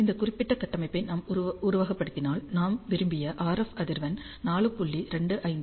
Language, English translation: Tamil, So, if we simulate this particular structure, and we observe the S11 at the desired RF frequency which is 4